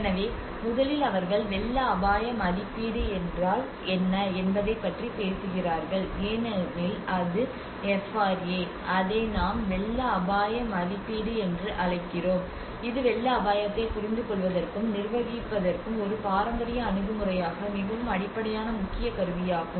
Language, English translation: Tamil, So first they talk about what is a flood risk assessment you know because that is FRA, we call it as flood risk assessment that is a very basic key tool as a traditional approach in the traditional approach to understand and managing the flood risk